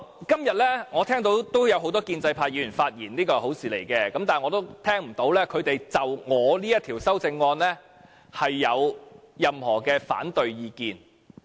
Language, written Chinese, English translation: Cantonese, 今天我聽到不少建制派議員發言，這是好事，我亦聽不到他們就我這項修正案有任何反對意見。, Today I heard many pro - establishment Members speak . This is a good thing . And I did not hear any opposing views when they spoke on it